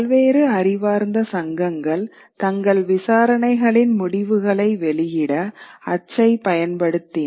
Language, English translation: Tamil, Various scholarly associations took to print to publish the results of their inquiries